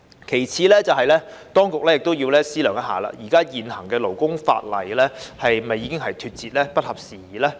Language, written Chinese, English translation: Cantonese, 其次，當局亦要思量現行勞工法例是否已經脫節，不合時宜。, Secondly the authorities should also examine whether the existing labour laws have become outdated and obsolete